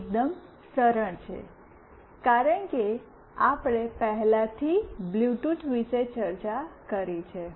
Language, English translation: Gujarati, This is fairly straightforward, because we have already discussed about Bluetooth